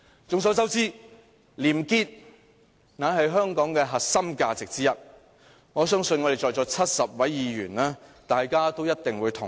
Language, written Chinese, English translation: Cantonese, 眾所周知，廉潔是香港的核心價值之一，我相信在座的70位議員一定會同意。, As we all know probity is one of Hong Kongs core values . I believe all the 70 Members here will agree